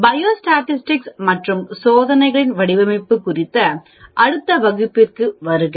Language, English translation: Tamil, Welcome to the next class on Biostatistics and Design of Experiments